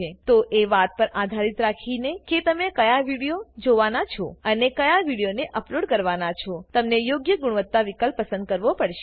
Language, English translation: Gujarati, So depending on how you are going to view or where you are going to upload the video, you will have to choose the appropriate quality option